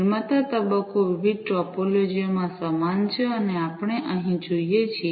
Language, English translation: Gujarati, The producer phase is similar across different topologies and as we see over here